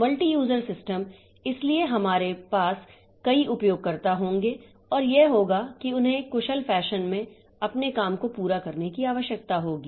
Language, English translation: Hindi, So, these multi user systems, so they are we will have multiple users and that they will be come, they need to be, their jobs need to be completed in an efficient fashion